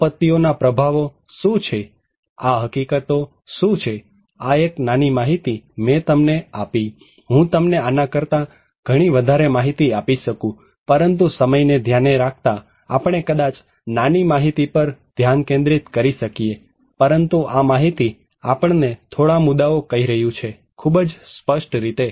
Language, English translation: Gujarati, what are the impacts of disaster, what are these facts, this is a small data I have given you, I can give you a lot more data, but for the considering the time, we may focus on small data, but that data is telling us few points, pretty clearly